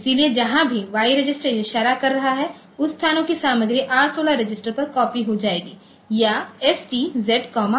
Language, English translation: Hindi, So, wherever Y is pointing to Y register is pointing to, so that locations content will be copied onto R16 register or stored Z comma R16